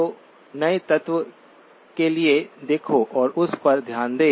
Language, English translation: Hindi, So look out for what the new element is and make a note of that